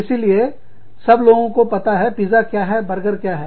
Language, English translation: Hindi, So, everybody knows, what pizza and burgers are